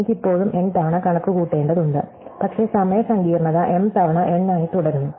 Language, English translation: Malayalam, I still have to compute n times, but the time complexity remains m times n